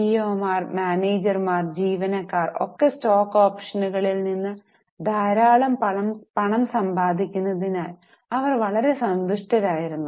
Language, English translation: Malayalam, So CEOs, managers, employees, they were very happy because they were making lot of money from stock options